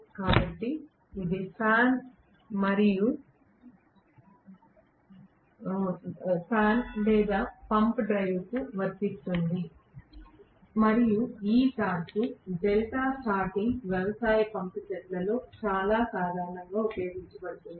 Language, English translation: Telugu, So, this is very much applicable to fan or pump drive and this torque delta starting is very commonly used in agricultural pump sets